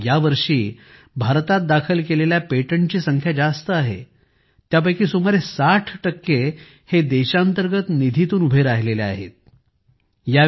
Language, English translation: Marathi, This year, the number of patents filed in India was high, of which about 60% were from domestic funds